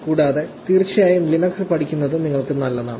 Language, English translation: Malayalam, And, of course learning Linux will also be good for you